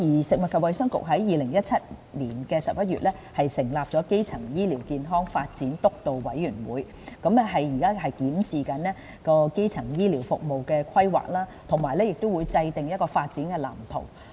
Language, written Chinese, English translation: Cantonese, 食物及衞生局於2017年11月成立的基層醫療健康發展督導委員會，現正檢視基層醫療服務的規劃及制訂發展藍圖。, The Food and Health Bureau has set up the Steering Committee on Primary Healthcare Development in November 2017 to review the planning of primary healthcare services and draw up a development blueprint